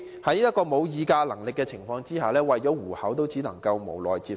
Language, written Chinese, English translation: Cantonese, 他們沒有議價能力，為了糊口，只能無奈地接受。, As they do not have the bargaining power they have no alternative but to accept such irregularities in order to make a living